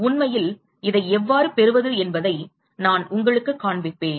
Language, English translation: Tamil, In fact, I will show you how to derive this